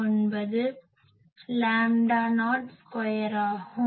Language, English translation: Tamil, 199 lambda not square